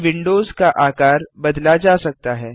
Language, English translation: Hindi, These windows can be re sized